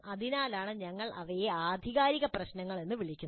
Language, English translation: Malayalam, That's why we call them as authentic problems